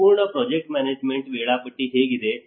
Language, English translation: Kannada, how is the whole project management schedule